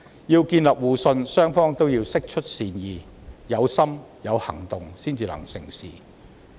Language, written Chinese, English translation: Cantonese, 要建立互信，雙方都要釋出善意，須有心及有行動才能成事。, In order to build mutual trust both sides have to show their goodwill and aspiration and they should also take actions to make this happen